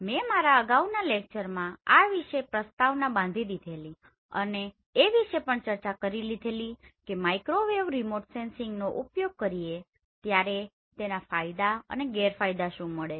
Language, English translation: Gujarati, In my previous lecture I already covered little bit of introduction as well as what advantages and disadvantages we have when we are using microwave remote sensing